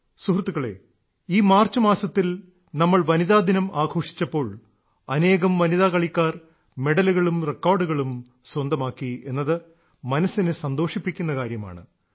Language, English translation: Malayalam, Friends, it is interesting… in the month of March itself, when we were celebrating women's day, many women players secured records and medals in their name